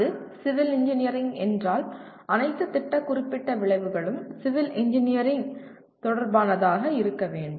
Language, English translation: Tamil, If it is civil Engineering all the program specific outcome should be related to Civil Engineering